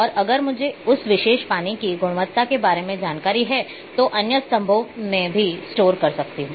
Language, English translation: Hindi, And if I am having information about the water quality of that particular, well I can store in other columns as well